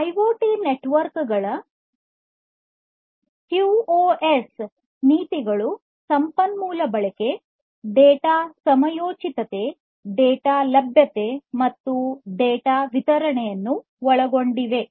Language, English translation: Kannada, QoS policies for IoT networks includes resource utilization, data timeliness, data availability, and data delivery